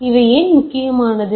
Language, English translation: Tamil, So, what why this is becoming important